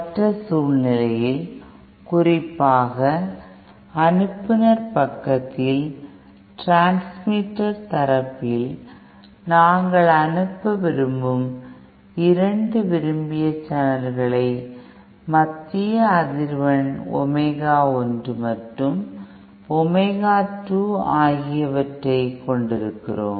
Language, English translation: Tamil, The other scenario could be you know suppose at the especially at the transmitter side, transmitter side say we have 2 desired channels with centre frequencies at omega 1 and omega 2 that we want to transmit